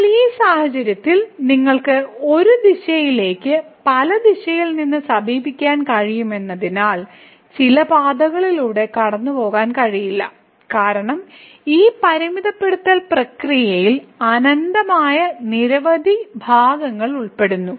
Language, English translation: Malayalam, But now, in this case since you can approach to a particular point from the several direction, it is not possible to get as the along some path because there are infinitely many parts involved in this limiting process